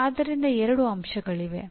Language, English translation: Kannada, So there are 2 elements